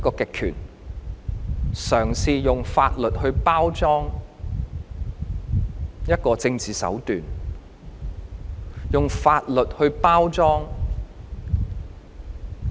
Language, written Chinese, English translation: Cantonese, 當權者嘗試用法律包裝政治手段、用法律包裝打壓。, People in power are trying to cover up their political means and suppression under the pretence of law enforcement